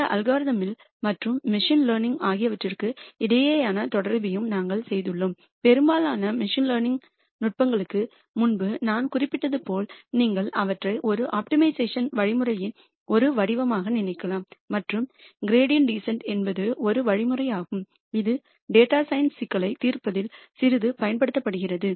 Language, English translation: Tamil, We also made the connection between these algorithms and machine learning and as I mentioned before most of the machine learning tech niques you can think of them as some form of an optimization algorithm and the gradient descent is one algorithm which is used quite a bit in solving data science problems